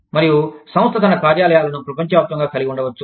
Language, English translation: Telugu, And, the company may have its offices, all over the world